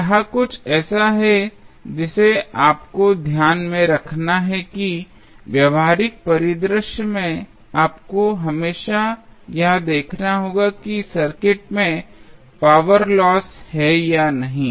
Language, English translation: Hindi, So, that is something which you have to keep in mind that in practical scenario, you always have to see whether there is a power loss in the circuit are not